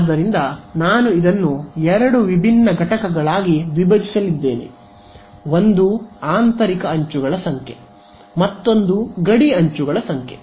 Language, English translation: Kannada, So, I am going to break this up into two different components, one is the number of interior edges and the number of boundary edges ok